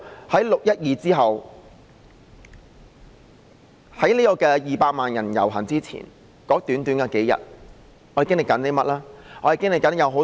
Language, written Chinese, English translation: Cantonese, 在6月12日當天至200萬人遊行之前的短短數天，我們在此期間經歷了甚麼呢？, In the several days between 12 June and the procession of 2 million participants what did we experience?